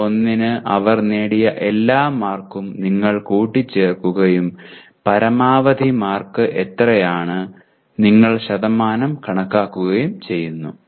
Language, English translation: Malayalam, That is you add up all the marks they have obtained for CO1 and what is the maximum mark and you compute the percentage